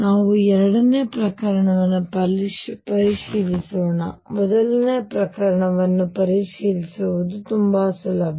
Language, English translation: Kannada, Let us check the second case; first case is very easy to check this one